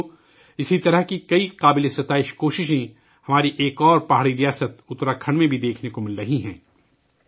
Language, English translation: Urdu, Friends, many such commendable efforts are also being seen in our, other hill state, Uttarakhand